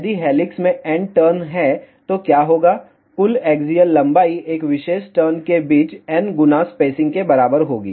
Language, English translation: Hindi, So, if there are n turns in an helix, then what will happen, total axial length will be equal to n times spacing between one particular turn